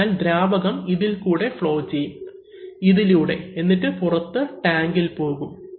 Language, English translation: Malayalam, So, then this fluid will flow through this, through this, and we will go out to the time